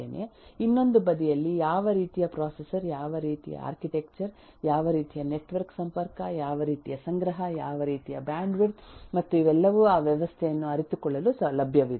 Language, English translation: Kannada, On the other side there is limitations of how what kind of processor, what kind of architecture, what kind of em eh network connectivity, what kind of storage, what kind of eh bandwidth and all these are available for realizing that system